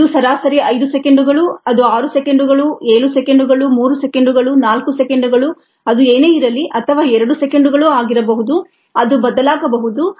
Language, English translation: Kannada, it could be six seconds, seven seconds, three seconds, four seconds, whatever it is, or even two seconds and so on